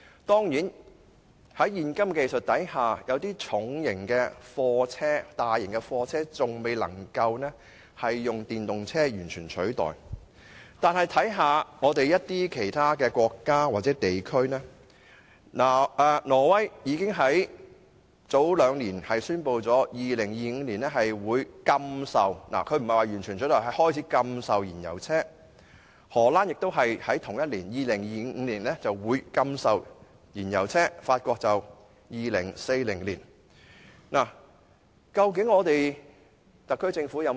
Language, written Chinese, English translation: Cantonese, 當然，在現今技術下，有些重型貨車和大型車輛仍未能以電動車完全取代，但試看其他國家或地區，挪威雖未至於完全取締燃油汽車，但卻早於兩年前宣布會在2025年開始禁售燃油汽車，荷蘭同樣會在2025年禁售燃油汽車，法國則會在2040年採取這措施。, Certainly given the current technology it would not be possible to replace certain fuel - engined heavy goods vehicles and large vehicles completely with electric ones for the time being but reference should be made to practices adopted in other countries or places . Although a total ban on the use of fuel - engined vehicles has not been imposed Norway has announced two years ago the prohibition of sale of fuel - engined vehicles from 2025 and the same measure will be implemented in the Netherland and France in 2025 and 2040 respectively